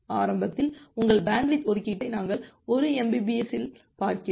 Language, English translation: Tamil, So, initially say your bandwidth allocation we are normalizing it in 1 mbps